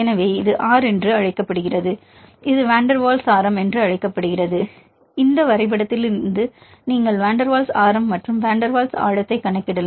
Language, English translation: Tamil, So, this is called this R that is called the van der waal radius, so from this graph you can calculate the van der Waals radius as well as van der Waals depth; this is the epsilon and R